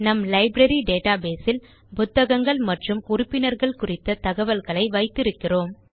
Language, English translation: Tamil, In this Library database, we have stored information about books and members